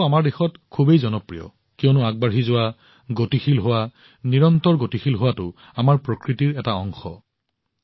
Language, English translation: Assamese, This mantra is so popular in our country because it is part of our nature to keep moving, to be dynamic; to keep moving